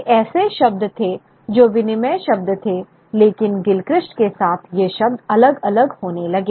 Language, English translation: Hindi, These were terms which were interchangeable terms but with Gilchrist these terms start getting differentiated